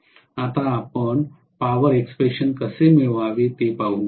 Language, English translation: Marathi, Now, let us see how to get the power expressions